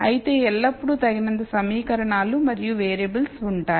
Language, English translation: Telugu, However, there will always be enough equations and variables